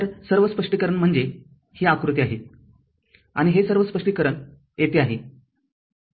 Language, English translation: Marathi, So, all this explanation is this is the diagram and all this explanation is here